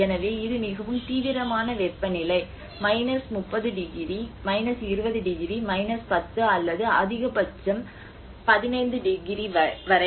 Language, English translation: Tamil, So it is very extreme kind of temperature either 30 degrees, 20 degrees, 10 or maximum the +15 degrees sort of thing